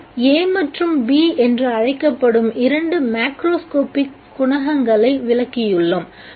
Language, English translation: Tamil, We have defined two macroscopic coefficients called A and B